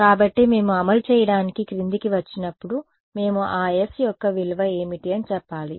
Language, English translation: Telugu, So, when we come down to implementing we have to say what is the value of that s right